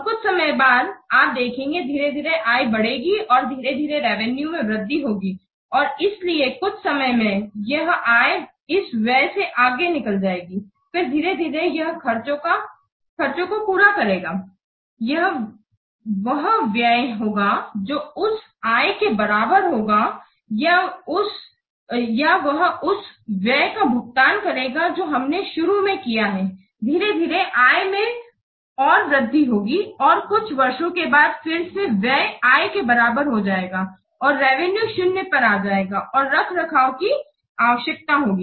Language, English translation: Hindi, And after some time you see, we'll get gradually the revenue will come up and gradually the revenue, the income will increase, increase, and this increase, so some time will come at some point of time this income it will outweigh this expenditure, then it will gradually, it will meet the expenses, it will be the expenditure will be equal to what the income it will pay of the expenditure that we have made initially, then the gradually the income will increase and after some years again the expenditure the income the revenue will come to zero, then will ask maintenance so again you have to put some more expenditure this is how the typical product lifecycle cash flow this looks likes so basically what importance is I have to forecast a cash flow and cash flow means it will indicate when expenditure will take place and when the income or revenue will take place